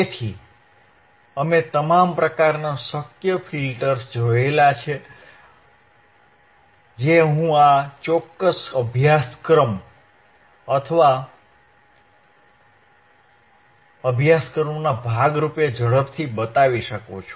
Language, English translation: Gujarati, So, we have seen all the kind of filters possible filters that I can show it to you quickly in the part of as a part of this particular curriculum or part of this particularor course